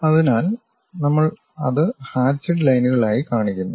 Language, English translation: Malayalam, So, we are showing that one as hatched lines